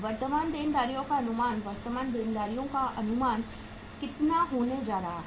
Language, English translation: Hindi, Estimation of current liabilities, estimation of the current liabilities is going to be how much